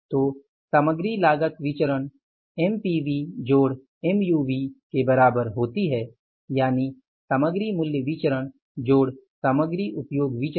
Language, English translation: Hindi, So the material cost variance can otherwise be equal to the MPV plus MUV, that is a material price variance plus material usage variance